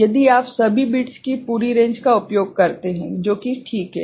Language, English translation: Hindi, If you use the full range of all the bits that is available ok